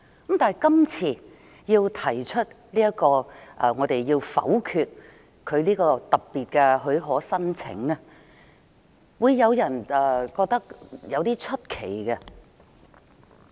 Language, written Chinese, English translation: Cantonese, 因此，今次民主派要否決律政司這項特別的許可申請，會讓人覺得有點奇怪。, Some people may find it unusual this time that the democratic camp wants to vote down the Department of Justices request for special leave